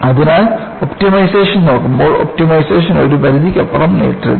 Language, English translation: Malayalam, So, by looking at optimization, do not stretch optimization beyond a limit